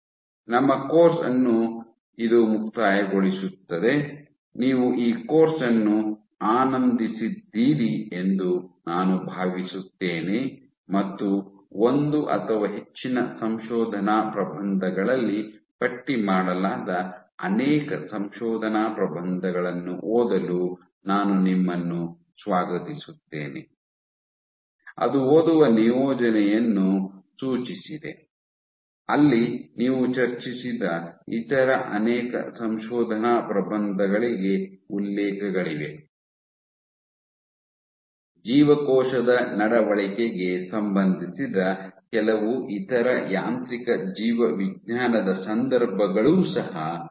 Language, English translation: Kannada, This concludes our course I hope you have enjoyed this course and I welcome you to read many of the papers which are listed in one or more of the paper that have suggested a reading assignment where you have references to many other papers which discussed some more other mechanobialogical contexts relevant to cell behavior